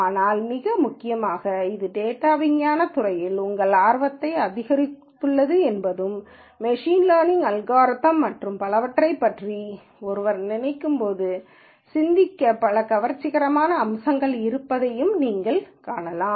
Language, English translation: Tamil, But more importantly our hope has been that this has increased your interest in this eld of data science and as you can see that there are several fascinating aspects to think about when one thinks about machine learning algorithms and so on